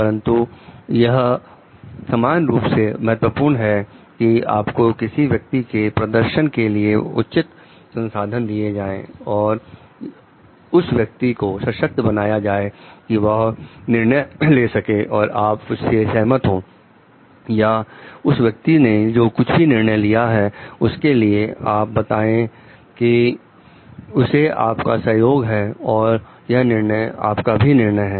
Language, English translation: Hindi, But, it is equally respond it is equally important like you give the proper resources for the person to perform and empower that person to take decisions and also you agree or you think like whatever the person decides you tell like it is you support that it is your decision also